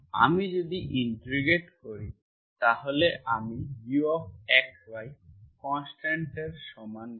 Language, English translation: Bengali, If I integrate, integration gives U of x, y is equal to simply constant